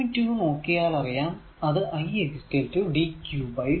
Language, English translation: Malayalam, So, we know that i is equal to dq by dt